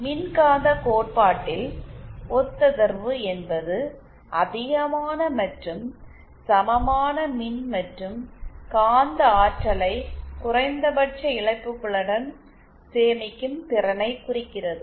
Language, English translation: Tamil, Now in EM Field theory, resonance refers to the ability to store large and equal amounts of electrical and magnetic energy with minimal losses